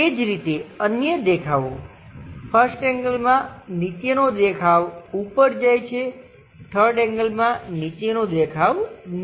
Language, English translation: Gujarati, Similarly, the other views, 1st angle the bottom view goes at top; in 3 rd angle the bottom view comes at bottom